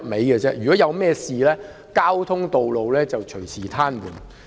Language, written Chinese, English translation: Cantonese, 如果發生甚麼事情，道路交通便隨時癱瘓。, In the event of an incident road traffic is prone to come to a standstill